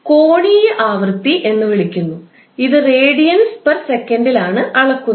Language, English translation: Malayalam, Omega is called as angular frequency which is measured in radiance per second